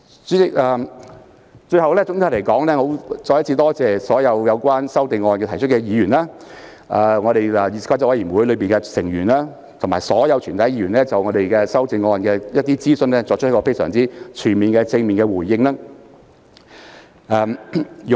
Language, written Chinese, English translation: Cantonese, 主席，最後，我要再次感謝所有就擬議修訂提出意見的議員、議事規則委員會委員及全體議員，他們均就擬議修訂的諮詢作出了非常全面和正面的回應。, President finally I have to thank again all those Members who have given their views on the proposed amendments Members of the Committee on Rules of Procedure and the whole Council . They have responded very comprehensively and positively to the consultation on the proposed amendments